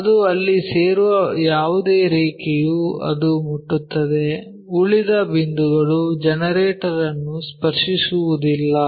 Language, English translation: Kannada, The line whatever it is joining there only it touches the remaining points will not touch the generator